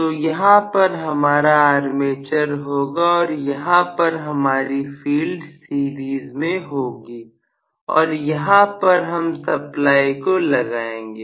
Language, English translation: Hindi, So I am going to have armature here, and the field is in series and I am going to apply a supply here